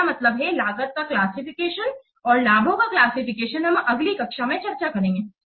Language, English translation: Hindi, I mean the classification of the cost and the classification of benefits we will discuss in the next class